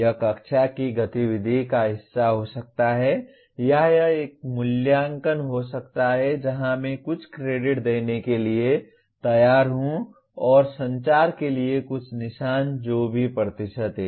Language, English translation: Hindi, It could be part of the classroom activity or it could be an assessment where I am willing to give some credit and some marks towards communication whatever percentage it is